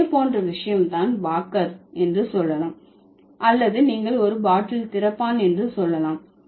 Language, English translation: Tamil, Similar is the case with let's say walker or you can say opener, bottle opener